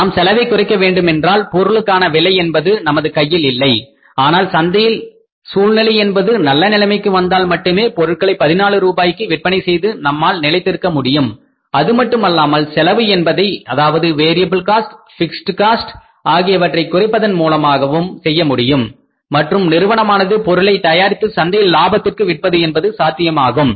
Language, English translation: Tamil, So, we have to sustain in the market so we have to control the cost because price is not in our hands but we only can sustain in the market if the situation improves in the time to come, selling the product at 14 rupees also will be possible if the cost is reduced, variable and the fixed cost is reduced and again the product of the firm manufacturing and selling of the product of the firm in the market becomes profitable